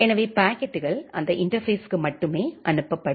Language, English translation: Tamil, So, the packets will be forwarded to those interface only